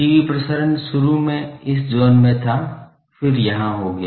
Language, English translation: Hindi, TV transmissions initially was in these zone then it became here